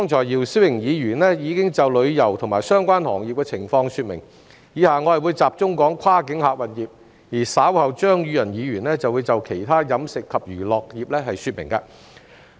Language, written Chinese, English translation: Cantonese, 姚思榮議員剛才已就旅遊及相關行業的情況作出說明，我以下會集中談論跨境客運業，而稍後張宇人議員會就其他飲食及娛樂業說明。, Just now Mr YIU Si - wing already expounded on the situation of tourism and related industries . I will now focus on the cross - boundary passenger service sector and Mr Tommy CHEUNG will later speak on the catering and entertainment industries